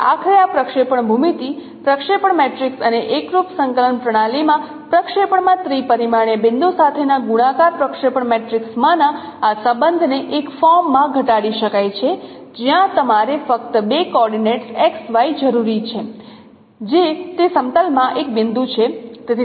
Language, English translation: Gujarati, So finally these this relationship in this projection geometry projection matrix and multiplication projection matrix with the three dimensional point in the projection in the no homogeneous coordinate system can be reduced to a, to a form where you require only two coordinates x, y, which is a point in that plane